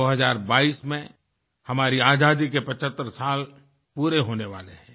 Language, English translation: Hindi, In 2022, we will be celebrating 75 years of Independence